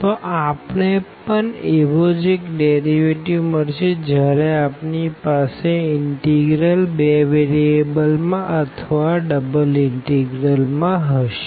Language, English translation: Gujarati, So, a similar kind of derivative we will also get when we have a integral in two variables or the double integral